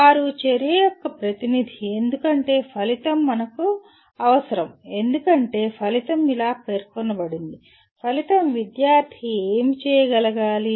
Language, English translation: Telugu, They are representative of action because that is the way we require because outcome is stated as, outcome is what the student should be able to do